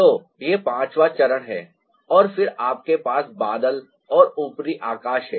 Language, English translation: Hindi, so it's a fifth ah stage and then you have the cloud and the upper sky